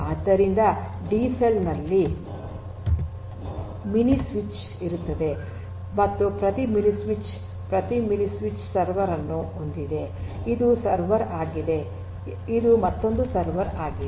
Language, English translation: Kannada, So, in a DCell you have something called the mini switch mini switch and every mini switch has every mini switch has a server, this is a server, this is another server